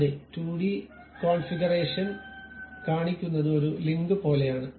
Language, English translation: Malayalam, The same 2 dimensional configuration something like a link it shows